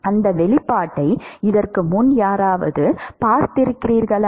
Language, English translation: Tamil, Has anyone seen that expression before